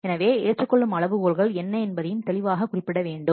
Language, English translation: Tamil, So, what is the acceptance criteria that also should be clearly mentioned